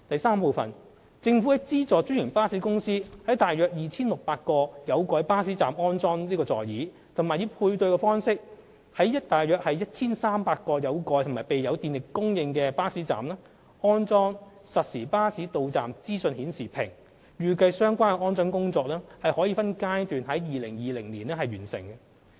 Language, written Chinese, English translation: Cantonese, 三政府資助專營巴士公司在共約 2,600 個有蓋巴士站安裝座椅，以及以配對方式在約 1,300 個有蓋及備有電力供應的巴士站安裝實時巴士到站資訊顯示屏，預計相關安裝工作將分階段在2020年完成。, 3 The Government has provided subsidies to franchised bus companies for installing seats at about 2 600 covered bus stops and funded the installation of real - time bus arrival information display panels at about 1 300 covered bus stops with electricity supply on a matching basis . It is expected that the installation works will be completed in phases in 2020